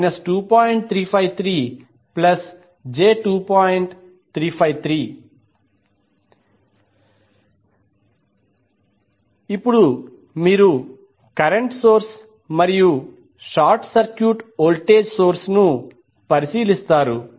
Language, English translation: Telugu, Now next is you consider the current source and short circuit the voltage source